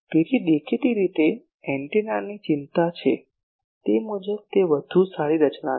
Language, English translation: Gujarati, So obviously, that is a better design as per as antenna is concern